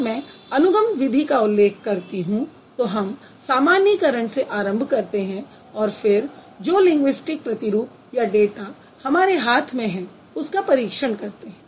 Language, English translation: Hindi, And when I say inductive method of study, we started from a generalization, then we try to test that using the linguistic samples or the data samples that we have in hand